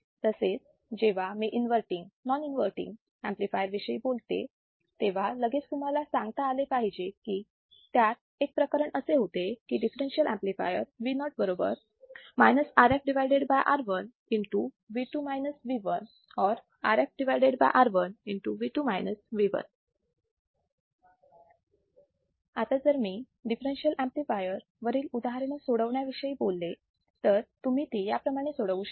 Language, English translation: Marathi, Similarly, when I talk about inverting, non inverting amplifier, immediately you should be able to say there was a case on it; a differential amplifier Vo is nothing but minus R f by R1 into V 2 minus V 1 or R f by R1 into V 2 minus V 1